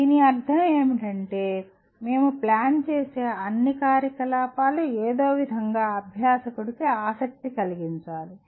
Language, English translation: Telugu, What it means is, all activities that we plan should somehow be of interest to the learner